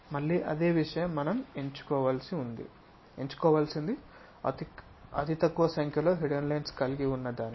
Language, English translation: Telugu, Again same thing fewest number of hidden lines we have to pick